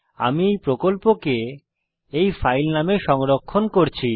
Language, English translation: Bengali, Let me save this project as this filename Dubbed into Hindi